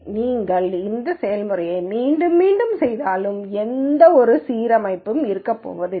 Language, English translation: Tamil, So, if you keep repeating this process there is no never going to be any reassignment